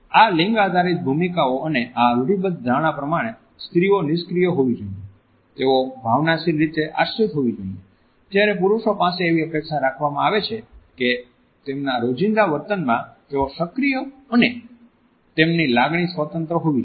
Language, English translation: Gujarati, These gender roles and these stereotypes expect that women should be passive they should be dependent emotional, whereas men are expected to be active and independent unemotional and even aggressive in their day to day behavior